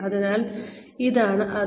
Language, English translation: Malayalam, So, that is what, this is